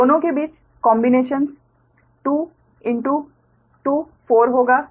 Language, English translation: Hindi, so it will be multiplied by two